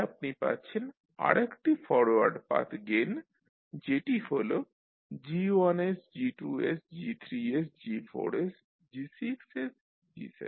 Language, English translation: Bengali, So you get another forward path gain that is G1s into G2s into G3s into G4s into G6s into G7s